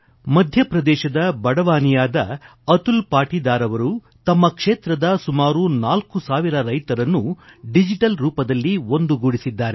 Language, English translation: Kannada, Atul Patidar of Barwani in Madhya Pradesh has connected four thousand farmers in his area through the digital medium